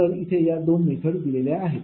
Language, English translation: Marathi, but two methods are given